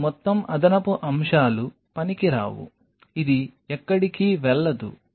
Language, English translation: Telugu, So, this whole extra stuff is useless this is not going anywhere